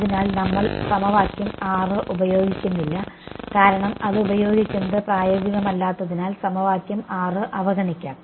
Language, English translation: Malayalam, So, we do not use equation 6 let us for the moment ignore equation 6 why because it is not practical to use it